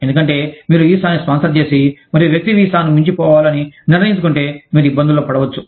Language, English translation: Telugu, Because, if you have sponsored the visa, and the person decides to overstay the visa, then you could get into trouble